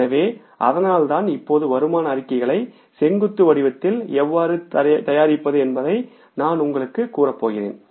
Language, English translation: Tamil, So, that is why now I am going to show to you that how we can prepare the income statements in the vertical format